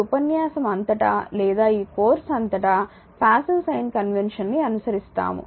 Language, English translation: Telugu, Throughout the text or throughout this course we will follow the passive sign convention